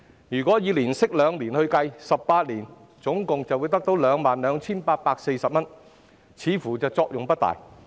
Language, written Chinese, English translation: Cantonese, 如果以年息2厘計算 ，18 年後會有 22,840 元，似乎作用不大。, If the interest rate is 2 % per annum the sum will amount to 22,840 in 18 years which seems not to be of much use